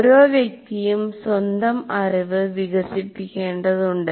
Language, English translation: Malayalam, You, each individual will have to construct his own knowledge